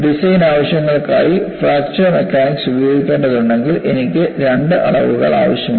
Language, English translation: Malayalam, See, if I have to employ a fracture mechanics for design purposes, I need to have two quantities